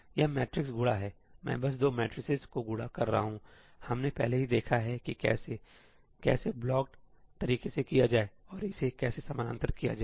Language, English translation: Hindi, This is matrix multiply; I am simply multiplying two matrices; we have already seen how to parallelize that, right, how to do that in a blocked manner and how to parallelize it